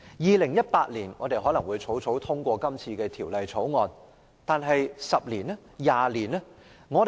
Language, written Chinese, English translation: Cantonese, 2018年，我們可能會草草通過《條例草案》，但10年、20年後會怎樣？, We may hastily pass the Bill in 2018 but what will be the consequences of this in the next 10 or 20 years?